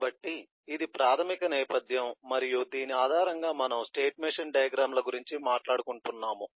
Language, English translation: Telugu, so this is eh the basic background and based on this we would like to talk about the state machine diagrams